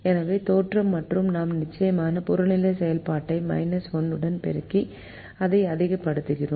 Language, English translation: Tamil, so the origin and we of course multiplied the objective function with minus one to make it a maximization